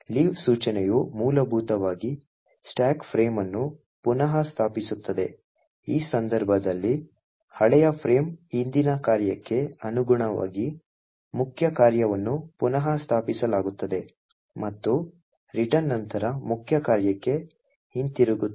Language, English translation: Kannada, The leave instruction essentially restores the stack frame such that the old frame corresponding to the previous function in this case the main function is restored, and the return would then return back to the main function